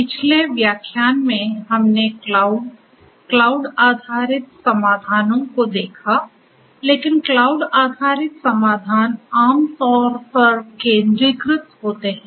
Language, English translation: Hindi, In the previous lecture we looked at cloud, cloud based solutions, but cloud based solutions are typically centralized